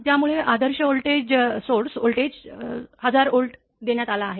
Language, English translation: Marathi, So, the ideal voltage source voltage is given 1000 Volt